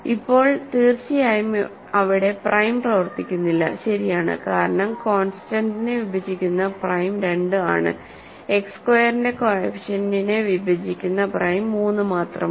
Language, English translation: Malayalam, So, now, certainly on the face of it no prime works, right, because only prime that divides constant is 2, only prime that divides the coefficient of X squared is 3